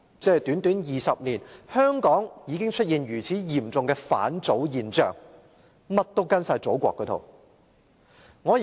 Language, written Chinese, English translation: Cantonese, 只是短短20年，香港已經出現如此嚴重的"返祖現象"——甚麼也跟從祖國那一套。, Within a mere 20 years a serious phenomenon of following all the practices of the Motherland has emerged in Hong Kong